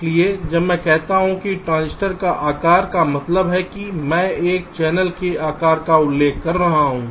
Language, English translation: Hindi, so when i say the size of a transistor means i refer to the size of a channel